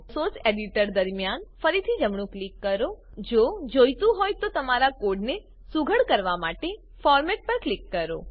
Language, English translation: Gujarati, Right click within your Source Editor Select the Format option to tidy the format of your code